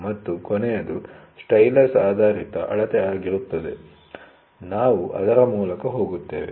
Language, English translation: Kannada, And the last one will be stylus based measurement, we will go through it